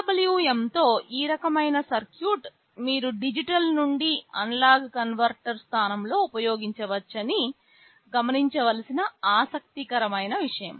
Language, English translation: Telugu, The interesting point to notice that this kind of a circuit with PWM you can use in place of a digital to analog converter